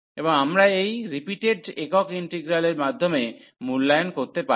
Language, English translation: Bengali, And we can evaluate the integrals by this repeated a single integrals